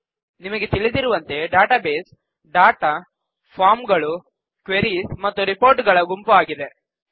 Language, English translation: Kannada, As you may know, a database is a group of data, forms, queries and reports